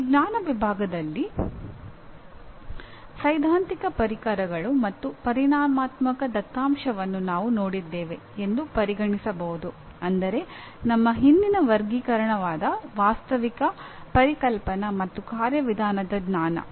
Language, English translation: Kannada, Of these knowledge categories, the theoretical tools and quantitative data can be considered addressed by our previous categorization namely Factual, Conceptual, and Procedural knowledge